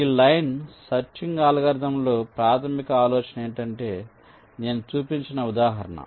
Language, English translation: Telugu, so in this line search algorithm, the basic idea is that just the example that i have shown